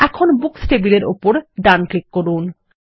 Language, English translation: Bengali, Let us now right click on the Books table